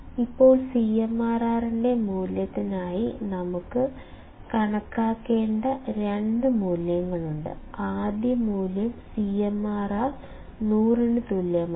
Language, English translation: Malayalam, Now for the value of CMRR; so, there are two values that we need to calculate; first value is given as CMRR equals to 100